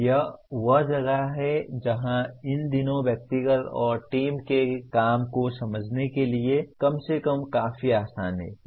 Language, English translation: Hindi, This is where these days at least fairly easy to understand individual and team work